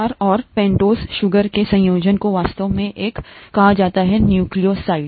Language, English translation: Hindi, The combination of the base and the pentose sugar is actually called a nucleoside